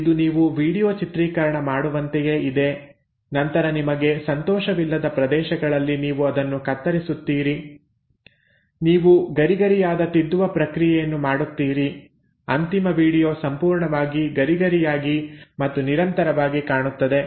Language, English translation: Kannada, It is almost like you make a video film and then you kind of cut it wherever the regions you are not happy you do a crisp editing so that the final video looks absolutely crisp and continuous